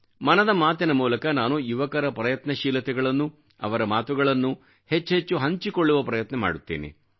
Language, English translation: Kannada, I try to share the efforts and achievements of the youth as much as possible through "Mann Ki Baat"